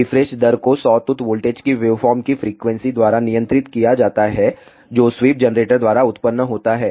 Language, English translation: Hindi, Refresh rate is governed by the frequency of the sawtooth voltage waveform, which is generated by the sweep generator